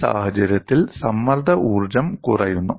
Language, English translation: Malayalam, And what is the strain energy change